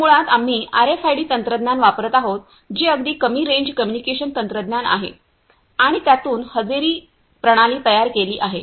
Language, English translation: Marathi, So, basically we are using RFID technology that is very short range communication technology and then building attendance system out of it